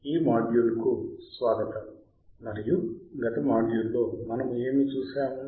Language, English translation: Telugu, Welcome to this module and in the last module what we have we seen